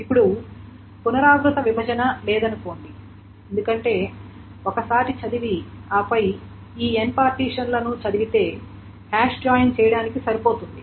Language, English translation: Telugu, Now this is of course assuming that there is no recursive partitioning because once you read and then reading this end partitions is good enough to do the hash joint